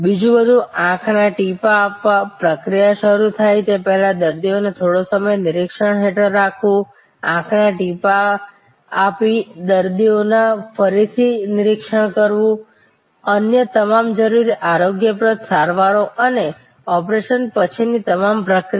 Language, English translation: Gujarati, Everything, else giving eye drops, keeping the patient under observation for some time before the process starts, giving the eye drop, again observing the patient, all the other necessary hygienic treatments and post operation all the process